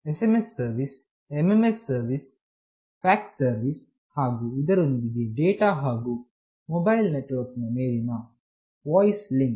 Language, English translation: Kannada, SMS service, MMS service, fax service, and of course data and voice link over mobile network